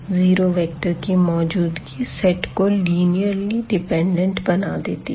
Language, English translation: Hindi, So, this 0 is one of the vectors in the set and then the set must be linearly dependent